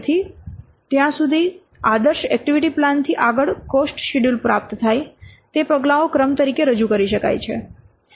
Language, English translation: Gujarati, So, going from an ideal activity plan till getting the cost schedule it can be represented as a sequence of steps